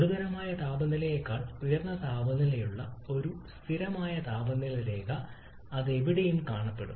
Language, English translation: Malayalam, Then a constant temperature line where the temperature is higher than critical temperature how that will look like